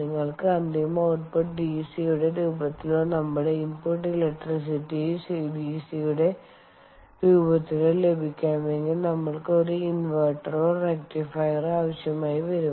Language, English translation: Malayalam, if you want to have the final output in form of dc, or our input electricity is in the form of dc, we would need an inverter or rectifier, as the case may be